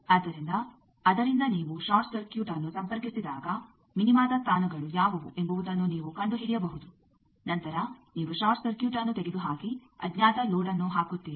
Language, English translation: Kannada, So, from that you can find out what are the positions of the minima when, I have connected short circuit then you remove short circuit and put an unknown load